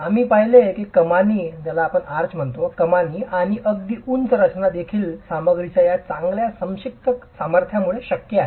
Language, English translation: Marathi, We saw the arches and even tall structures are possible because of this good compressive strength of the material itself